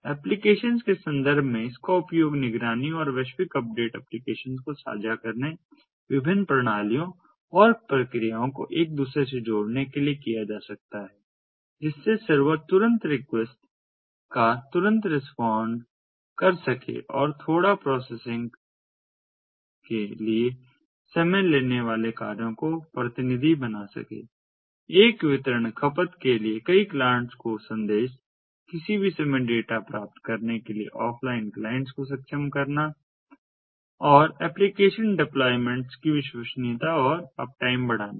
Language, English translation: Hindi, it can be used for monitoring and global updates, sharing applications connecting different systems and processes to talk to one another, allowing the servers to respond to immediate requests quickly and delegate time consuming tasks for little processing, distributing a message to multiple clients for consumption, enabling offline clients to fetch data at any time and increasing the reliability and uptime of application deployments